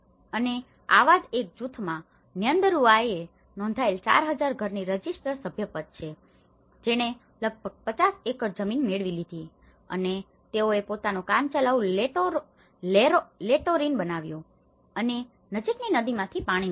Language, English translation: Gujarati, And one such group is Nyandarua registered membership of 4,000 households which has acquired about 50 acres land and they made their own makeshift latrines and obtained water from a nearby river